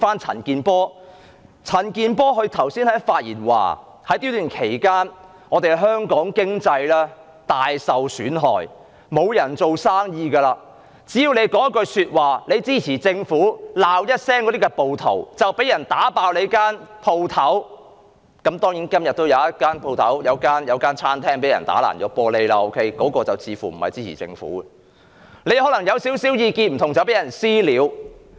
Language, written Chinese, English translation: Cantonese, 陳健波議員剛才發言時，指在這段期間，香港經濟大受損害，沒有人做生意，只要你說一句支持政府的話，罵一聲那些暴徒，便會被人破壞你的店鋪——今天也有一間餐廳被人打碎玻璃，但那間餐廳似乎不是支持政府的——你可能因有少許不同的意見便被人"私了"。, In his speech just now Mr CHAN Kin - por claimed that Hong Kongs economy had been seriously undermined during this period of time with businesses unable to operate as anyone uttering just a word of support for the Government and a word of criticism against the rioters would end up having his or her shop trashed―today a restaurant had its glass smashed but it seems that the restaurant is no supporter of the Government―and people might be subjected to mob justice because of their dissenting views